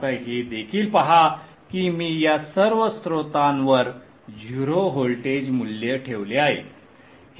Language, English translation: Marathi, Now observe also that I have put zero voltage value at all these source